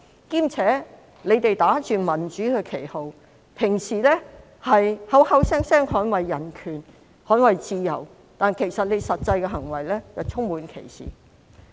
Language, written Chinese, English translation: Cantonese, 他們打着民主的旗號，向來口口聲聲說捍衞人權和自由，實際行為卻充滿歧視。, They raised the flag of democracy and said repeatedly that they defended human rights and freedom but their actual practices were discriminatory